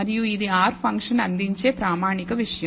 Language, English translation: Telugu, And this is a standard thing that R function will provide